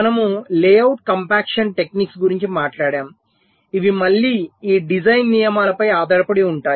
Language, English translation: Telugu, we talked about layout compaction techniques which are again based on this design rules typically